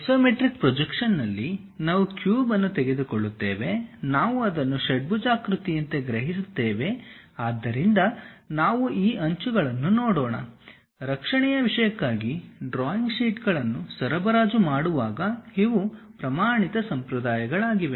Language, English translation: Kannada, If we are taking a cube in the isometric projection, we sense it like an hexagon; so, let us look at these edges; these are the standard conventions when one supplies drawing sheets for the protection thing